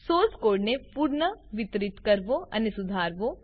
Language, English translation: Gujarati, Redistribute and improve the source code